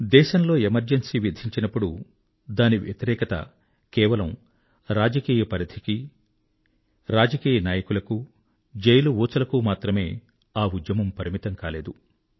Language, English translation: Telugu, When Emergency was imposed on the country, resistance against it was not limited to the political arena or politicians; the movement was not curtailed to the confines of prison cells